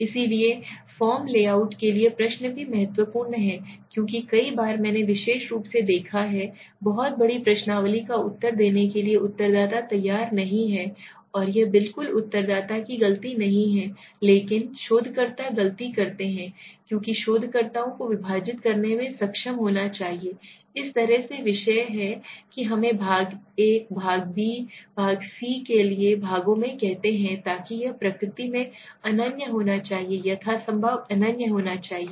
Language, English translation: Hindi, So the question for form layout is also important because many a times I have seen especially in very large questionnaires respondents are not willing to answer and that is not exactly respondents mistake but the researchers mistake, because the researchers should be able to divide the topic in such a manner that let us say in parts for example part A, part B, part C so that and it should be exclusive in nature right, there should be as exclusive as possible